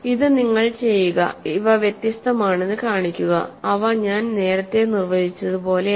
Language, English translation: Malayalam, So what I will leave for you is to show that these are distinct, they are actually not same as I defined earlier